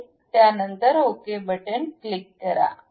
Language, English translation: Marathi, So, once it is done, click ok